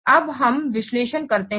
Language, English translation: Hindi, Now let's analyze